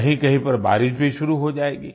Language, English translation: Hindi, It would have also start raining at some places